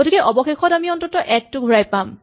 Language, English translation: Assamese, So finally, we will return at least one